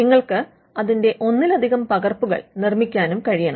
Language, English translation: Malayalam, You should be able to make multiple copies of it